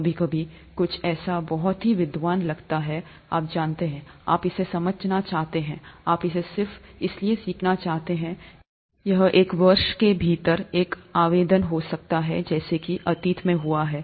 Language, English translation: Hindi, Sometimes, something that seems very, scholarly, you know, you you want to understand it, you want to learn it just because it is there could have an application within a year as has happened in the past